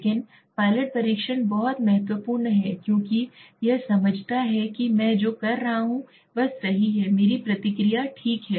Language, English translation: Hindi, But pilot testing is very important because it like understands that what I am doing is correct my process is appropriate okay